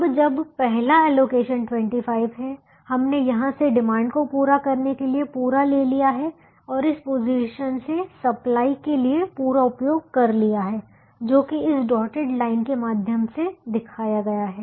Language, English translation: Hindi, now, when the first allocation is twenty five, we have met the entirely, we have met the demand of, we have, we have consumed the supply from this position and that is shown by this dotted line